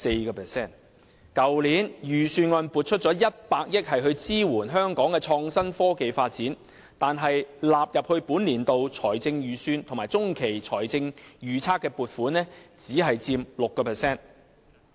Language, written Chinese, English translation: Cantonese, 去年的預算案撥出了100億元支援香港的創新科技發展，但納入本年度財政預算及中期財政預測的撥款只佔 6%。, In the Budget of last year 10 billion was set aside to support the development of innovation and technology in Hong Kong . However only 6 % of the fund is included in the Budget and the Medium Range Forecast of the current year